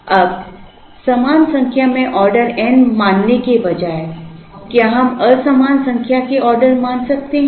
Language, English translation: Hindi, Now, instead of assuming an equal number of order is n, can we assume unequal number of orders